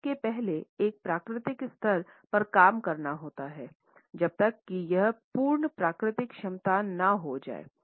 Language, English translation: Hindi, Voice has to be first worked on at a physical level to unleash it is full natural potential